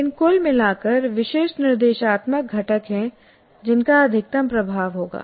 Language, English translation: Hindi, But by and large, there are certain instructional components that will have maximum impact